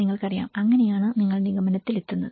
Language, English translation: Malayalam, You know, so that is you know the kind of conclusion